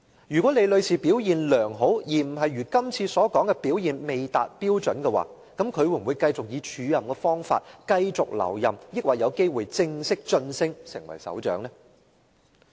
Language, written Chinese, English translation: Cantonese, 如果李女士表現良好，而非如這次所說的表現未達標準的話，她會否以署任方式繼續留任，還是有機會正式晉升成為首長呢？, If Ms LIs performance was satisfactory instead of failing to meet the requirements as he has claimed would she be asked to remain in the acting post or would she have a chance to be formally promoted to Head of Operations?